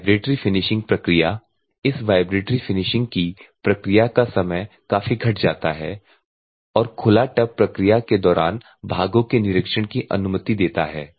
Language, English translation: Hindi, Vibratory Finishing process this process times for the vibratory finishing or significantly reduced and open tubs permit the inspection of the parts during the process